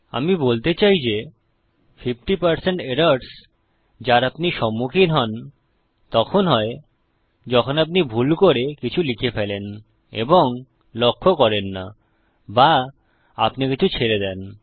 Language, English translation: Bengali, I would say a good 50% of errors that you encounter are when you either dont see something you have accidentally typed or you have missed out something